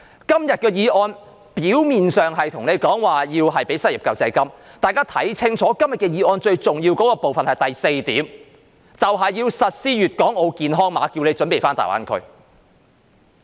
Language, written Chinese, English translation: Cantonese, 今天的議案表面上是要求政府提供失業救濟金，但大家要看清楚，議案最重要的部分是第四點，就是要實施粵港澳健康碼，要大家準備返大灣區。, On the surface the motion today urges the Government to provide unemployment assistance . Yet we have to look at this carefully . The most important part of the motion is paragraph 4 that is the implementation of the mutual recognition system for health codes of Guangdong Hong Kong and Macao so that we are ready to go to the Greater Bay Area